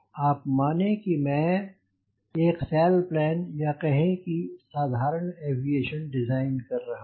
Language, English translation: Hindi, you see, suppose i am designing a sail or let say general aviation, right